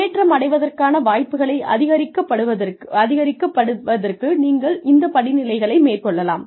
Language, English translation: Tamil, These are the steps, you can take, to improve your chances, of being considered for advancement